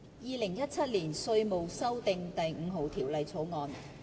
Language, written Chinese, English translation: Cantonese, 《2017年稅務條例草案》。, Inland Revenue Amendment No . 5 Bill 2017